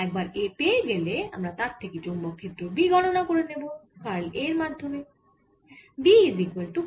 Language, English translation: Bengali, so once we get a, we can calculate b, that is a magnetic field which is given by curl of this a